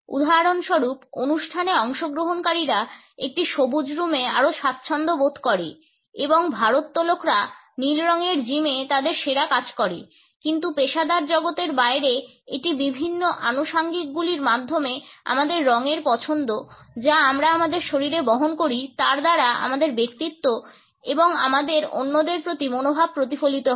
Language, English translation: Bengali, For example, performance feel more relaxed in a green room and weightlifters do their best in blue colored gyms, but beyond this in the professional world it is our choice of colors through different accessories which we carry on our body that we reflect our personality and our attitudes to other